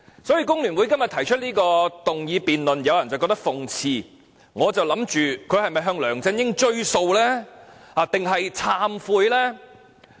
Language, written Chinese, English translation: Cantonese, 所以，工聯會今天提出這項議案，有人覺得諷刺；我則想不透它是否想向梁振英追數，還是要懺悔呢？, Hence some people consider it ironic for FTU to put forth this motion . To me it is hard to tell if FTU is going to ask LEUNG Chun - ying to honour his promises or trying to repent itself